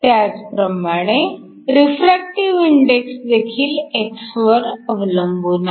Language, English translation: Marathi, Similarly, you can calculate the refractive index for x is equal to 0